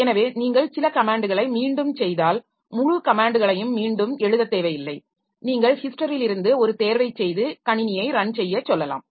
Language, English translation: Tamil, So, if you repeat some comments you don't need to write the entire comment again so you can just select from the history and ask the system to run